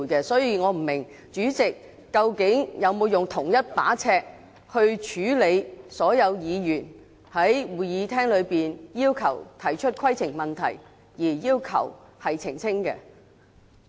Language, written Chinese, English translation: Cantonese, 所以，我不知道主席究竟有沒有用同一把尺去處理所有議員在會議廳內提出的規程問題，而要求澄清。, Therefore I am not sure if the President has used the same rule to deal with all points of order raised by Members in the Chamber to request leave for making clarifications